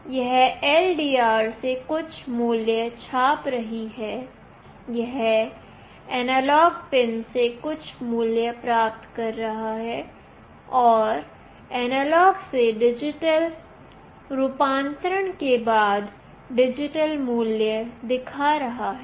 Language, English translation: Hindi, This is printing some value from LDR; it is getting some value from the analog pin, and after analog to digital conversion it is showing the digital value